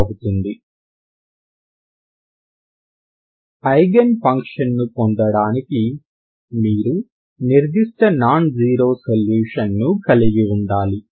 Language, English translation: Telugu, So how do I get the Eigen functions essentially you have to see what is the non zero solution, ok